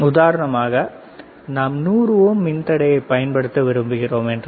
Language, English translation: Tamil, For example, if I say that we want to use a resistor of 100 ohm